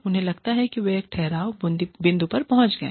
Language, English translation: Hindi, They feel, that they have reached a stagnation point